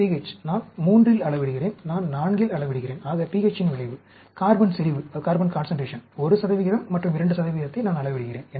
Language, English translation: Tamil, pH, I am measuring at, say 3, and measuring at 4, the effect of pH; carbon concentration, measuring at 1 percent and measuring at 2 percent